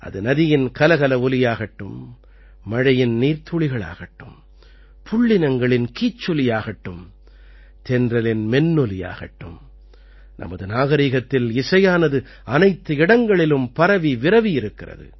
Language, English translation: Tamil, Be it the murmur of a river, the raindrops, the chirping of birds or the resonating sound of the wind, music is present everywhere in our civilization